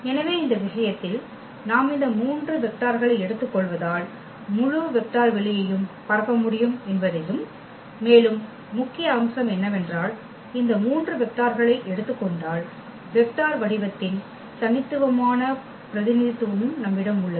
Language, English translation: Tamil, So, for instance in this case we have observed that taking these 3 vectors we can span the whole vector space and also the moreover the main point is that we have also the unique representation of the vector form R 3 if we take these 3 vectors